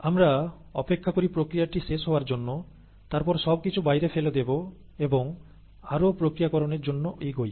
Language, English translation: Bengali, Then, wait for the process to go to completion, then dump everything out and proceed with further processing